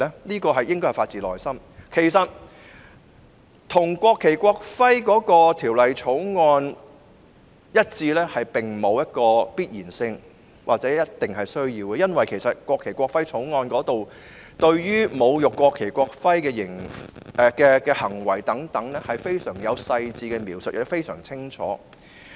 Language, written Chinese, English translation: Cantonese, 其實，有關罰則與《國旗及國徽條例》一致並不必然或必需，因為《國旗及國徽條例》對於侮辱國旗及國徽的行為有非常細緻及清晰的描述。, Indeed it is neither imperative nor necessary to align the penalty with that under NFNEO because NFNEO contains very detailed and clear descriptions of behaviour that desecrates the national flag and national emblem